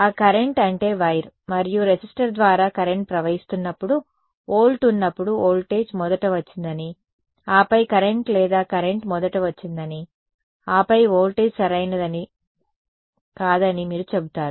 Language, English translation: Telugu, That current I mean when there is volt when there is current flowing through a wire and a resistor there would do you say that the voltage came first and then the current or current came first and then the voltage does not matter right